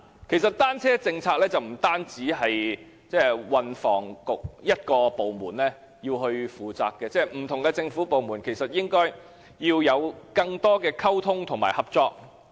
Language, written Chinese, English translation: Cantonese, 其實，單車政策不單由運輸及房屋局一個政策局負責，不同的政府部門其實應該要有更多溝通和合作。, As a matter of fact the bicycle policy should not be the sole responsibility of the Transport and Housing Bureau for various government departments should effect better communication and cooperation indeed